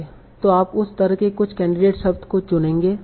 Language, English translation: Hindi, So you will choose some of the candidate words like that